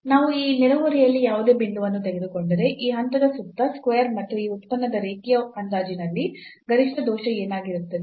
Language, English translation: Kannada, So, if we take any point in this neighborhood square neighborhood around this point and what will be the maximum error in that linear approximation of this function we want to evaluate